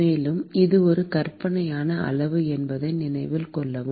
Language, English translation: Tamil, And note that it is a fictitious quantity